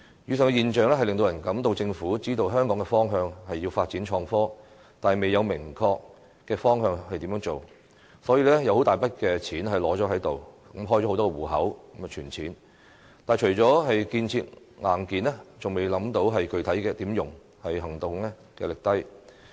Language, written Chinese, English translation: Cantonese, 以上的現象令人覺得政府知道香港的方向是要發展創科，但應如何落實則未有明確措施，所以開設了很多"戶口"，存放大筆金錢，但除了建設硬件，仍未想到具體要如何使用，行動力低。, The aforesaid phenomena indicates that the Government is aware that Hong Kong should develop innovation and technology as a way forward but it has yet to introduce specific measures to take the idea forward . As a result the Government has opened a lot of accounts and deposited a large amount of cash into each account . However apart from building hardware facilities it has failed to come up with any specific ways to spend the money